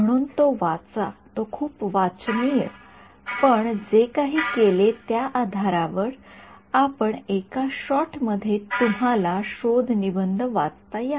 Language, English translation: Marathi, So, do read its very readable right based on whatever we have done you should be able to read the paper in one shot ok